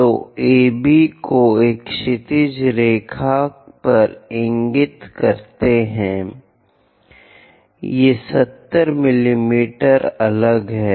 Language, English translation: Hindi, So, AB points on a horizontal line; these are 70 mm apart